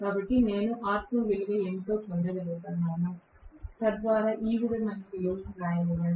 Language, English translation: Telugu, So, I should be able to get what is the value of r2 so that so let me write the value like this